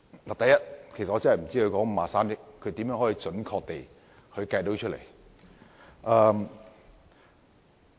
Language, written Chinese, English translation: Cantonese, 我不知道53億元是如何準確地計算出來。, I do not know how this figure of 5.3 billion was accurately calculated